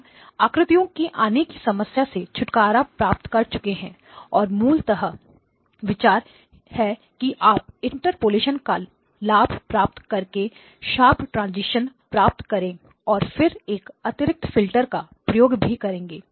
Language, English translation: Hindi, We have to get rid of the images and therefore the concept is that you will take advantage of the interpolation to get the sharp transitions and then introduce an additional filter